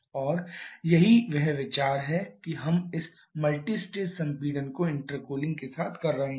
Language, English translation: Hindi, And that is the idea of this multistage compression with intercooling